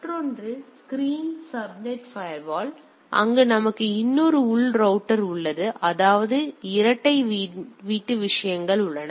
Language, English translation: Tamil, And another is the screened subnet firewall where there we have another internal router so; that means, dual home things are there